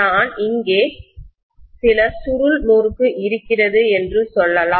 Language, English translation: Tamil, Let us say I am going to have some coil wound around here